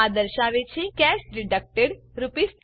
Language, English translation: Gujarati, It says cash deducted 20 rupees